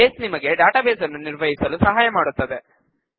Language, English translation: Kannada, Base helps you to manage databases